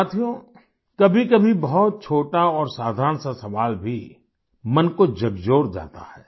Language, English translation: Hindi, Friends, sometimes even a very small and simple question rankles the mind